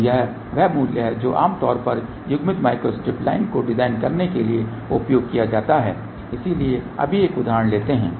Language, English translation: Hindi, So, this is the value which is generally use for designing the coupled micro strip line , so let just take a example now